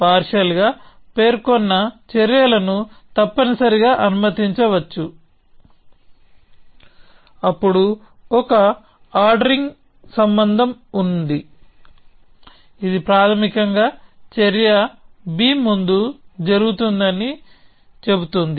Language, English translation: Telugu, So, partially specified actions may be allowed essentially, then there is an ordering relation which basically says that action a happen before action b